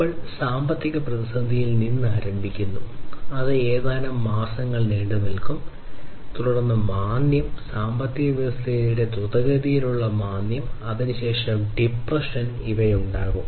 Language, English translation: Malayalam, So, we start with the economic crisis then that is that will take place for few months, then recession, basically it is a slowing down, a rapid slowdown of the economy and thereafter we have the depression